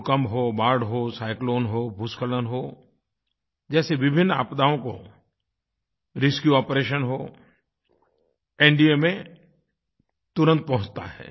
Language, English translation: Hindi, During earthquakes, floods, cyclones, landslides, NDMA reaches the area within no time